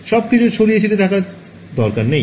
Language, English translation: Bengali, Everything need not scatter back